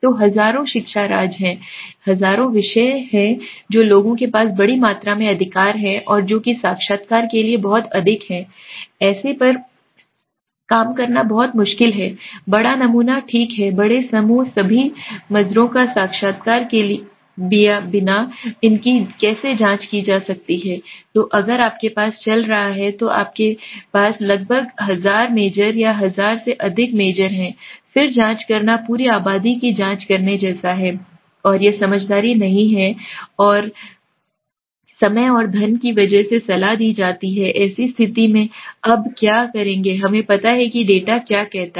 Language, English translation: Hindi, So there are thousands of education majors right there are thousands of subject which are where people have majors right and which is too many to interview it is very difficult to work on such a large sample okay large group how can this be investigated without interviewing all the majors so you have around thousand majors or more than 1000 majors now if I am going on if I go on checking then it is like checking the whole population and that is not wise and that is not advisable because of the lakh of time and money so in such a condition what we will do now what we know the data says